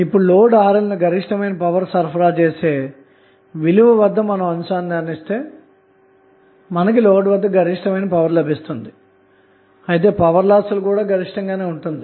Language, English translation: Telugu, And then if you connect the load Rl at maximum power condition, although the load will receive maximum power from the source, but losses will also be maximum